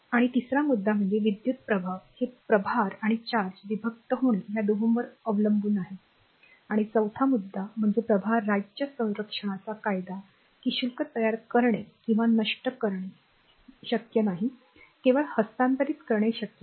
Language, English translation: Marathi, And third point is the electrical effects are attributed to both the separation of charge and your charges in motion and the fourth point is the law of conservation of charge state that charge can neither be created nor destroyed only transferred right